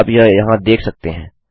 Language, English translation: Hindi, You can see that there